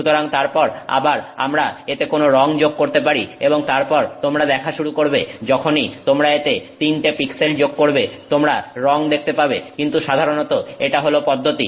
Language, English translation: Bengali, So, then again we can add some color to it and then you start seeing once you add three pixels to it, but in general this is the process